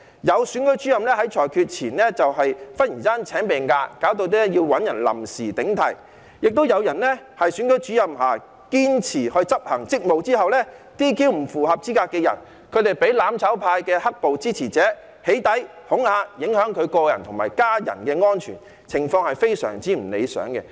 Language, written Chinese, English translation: Cantonese, 有選舉主任在裁決前突然請病假，以致要找人臨時頂替；亦有選舉主任在堅持執行職務 ，"DQ" 不符合資格的人後，被"攬炒派"的"黑暴"支持者起底和恐嚇，影響他個人及家人的安全，情況非常不理想。, There was a case in which a Returning Office suddenly took sick leave just before a decision had to be made thus making it necessary to look for a temporary replacement . There was also a Returning Officer who insisted to perform his duties and after he disqualified someone not eligible for candidacy he became the target of doxxing and intimidation by the supporters of riots in the mutual destruction camp thus affecting his own safety as well as that of his family members which is most undesirable